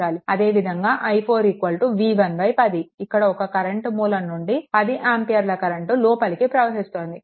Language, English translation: Telugu, Similarly, i 4 will be v 1 upon 10, easily, you can find out and this 10 ampere current source is entering